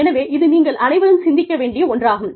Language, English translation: Tamil, So, this is something, that you all should think about